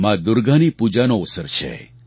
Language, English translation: Gujarati, It is a time for praying to Ma Durga